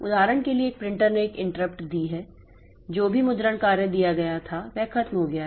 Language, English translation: Hindi, For example, a printer has given an interrupt that whatever printing job was given is over